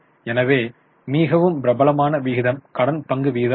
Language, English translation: Tamil, So, the most popular ratio is debt equity ratio